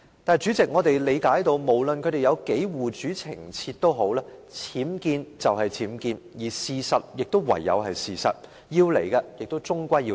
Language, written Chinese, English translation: Cantonese, 但是，主席，無論他們護主多麼情切，僭建就是僭建，事實就是事實，要來的終歸要來。, However President regardless of how earnestly they are defending their lord unauthorized building works UBWs are UBWs facts are facts and what is coming will ultimately come